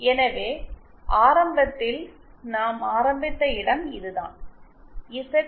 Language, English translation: Tamil, So, this is the point where we started initially, z